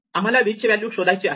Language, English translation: Marathi, If we find v we must delete it